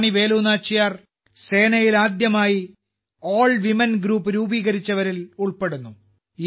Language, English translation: Malayalam, The name of Rani Velu Nachiyar is included among those who formed an AllWomen Group for the first time in their army